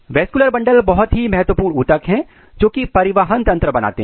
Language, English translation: Hindi, So, vascular bundles are very important tissues which are going to make the transport system